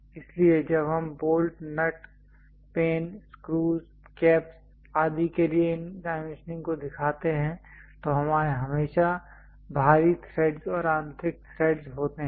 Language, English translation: Hindi, So, when you are showing these dimensioning for bolts, nuts, pen, screws, caps and other kind of things there always be external threads and internal threads